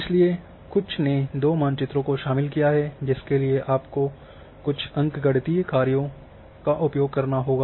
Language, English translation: Hindi, So, that a few have involved two maps you have use certain say arithmetic operations